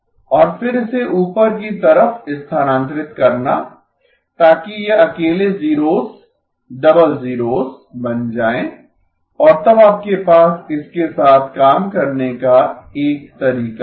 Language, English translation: Hindi, And then shifting it up so that these individual zeros merge to become double zeros and therefore you have a way to work with this